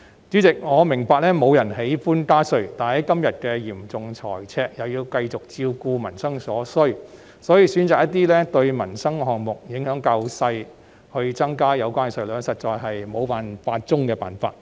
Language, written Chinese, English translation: Cantonese, 主席，我明白沒有人喜歡加稅，但面對現時嚴重的財政赤字，又要繼續照顧民生所需，選擇增加一些對民生影響較小的項目的稅率實在是沒有辦法中的辦法。, President I understand that no one wants a tax rise . However at present in the face of a serious fiscal deficit and the need to keep looking after peoples livelihood the option of increasing the rates of certain tax items with smaller livelihood impact is actually the last resort when there is no other choice